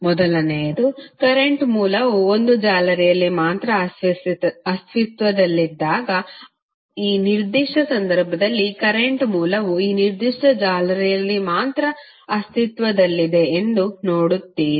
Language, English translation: Kannada, First one is that when current source exist only in one mesh, so in this particular case you will see that the current source exist only in this particular mesh